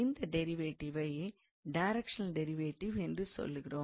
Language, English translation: Tamil, So, the first one is actually it is called directional derivative